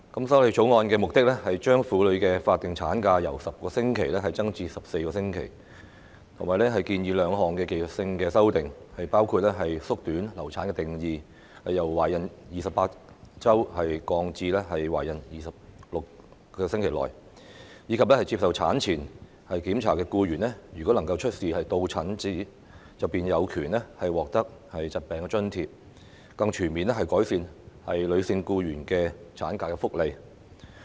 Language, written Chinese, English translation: Cantonese, 《條例草案》的目的是把婦女的法定產假由10個星期增至14個星期；建議兩項技術性修訂，包括縮短流產的定義，由"懷孕28個星期內"降至"懷孕24個星期內"；及接受產前檢查的僱員如能出示到診證明書，便有權獲得疾病津貼，更全面改善女性僱員的產假福利。, The Bill seeks to increase the statutory maternity leave ML for women from 10 weeks to 14 weeks propose two technical amendments including shortening the period of pregnancy mentioned in the definition of miscarriage from 28 weeks to 24 weeks and entitle employees who have attended medical examination in relation to pregnancy to sickness allowance if they are able to produce a certificate of attendance thus more comprehensively improving ML benefits for female employees . The relevant legislation on statutory ML in Hong Kong has remained unchanged since it was amended in 1995